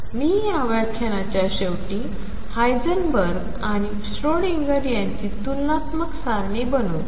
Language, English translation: Marathi, So, to conclude this lecture let me just make a comparative table for Heisenberg and Schrödinger picture